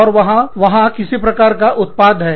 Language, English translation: Hindi, And, there is, some kind of output